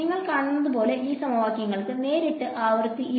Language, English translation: Malayalam, As you see it these equations do not have frequency directly anyway right